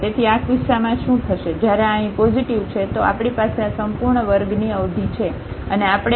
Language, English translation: Gujarati, So, in this case what will happen, when this is positive here then we have this whole square term and we have this k square term